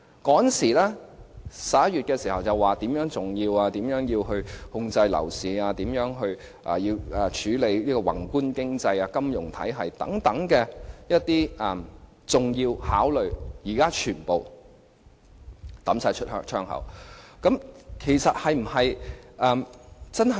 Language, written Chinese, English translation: Cantonese, 政府在11月時說《條例草案》很重要，因為可以控制樓市，處理宏觀經濟、金融體系等，這些重要考量是否如今全部拋諸腦後？, In November the Government said that the Bill was very important because it could keep the property market in check and address the problems concerning our macro economy and financial system . Has it forgotten all these important factors for consideration?